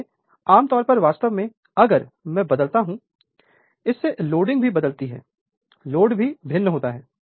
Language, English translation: Hindi, So, generally that your actually if I varies; therefore, your loading also varies right load also varies